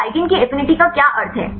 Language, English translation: Hindi, So, what is the meaning of the affinity of a ligand